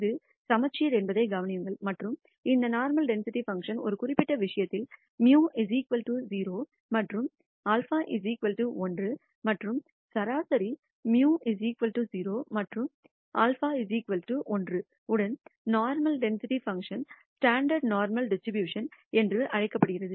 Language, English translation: Tamil, Notice that it is symmetric and in a particular case of this normal density function is when mu equals 0 and sigma is 1 and such a normal density function with mean mu 0 and sigma 1 is called a standard normal distribution